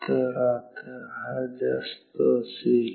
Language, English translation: Marathi, So, now, this will be high